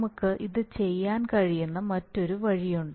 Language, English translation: Malayalam, there is, there is another way by which you can do, you could do it